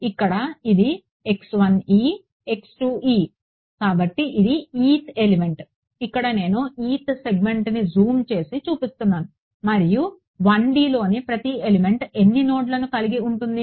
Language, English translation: Telugu, So, this is the eth segment or the eth element which I am zooming in and then showing over here and each element in 1D will have how many nodes